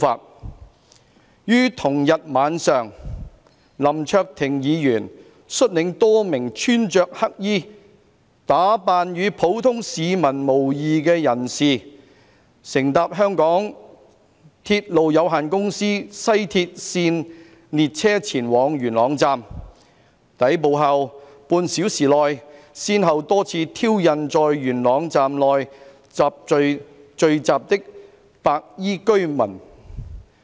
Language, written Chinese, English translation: Cantonese, 2. 於同日晚上，林卓廷議員率領多名穿著黑衣、打扮與普通市民無異的人士，乘搭香港鐵路有限公司西鐵線列車前往元朗站，抵埗後半小時內，先後多次挑釁在元朗站內聚集的白衣居民。, 2 . On the same night Hon LAM Cheuk - ting led a number of black - clad people who dressed like ordinary citizens to ride on a West Rail Line train to Yuen Long Station of the MTR Corporation Limited . Within half an hour after their arrival at the station they repeatedly provoked a group of white - clad residents gathering in the station